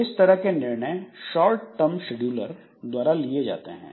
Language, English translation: Hindi, So, that is done by short term scheduler